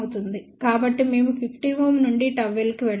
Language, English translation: Telugu, So, we have to go from 50 ohm to gamma l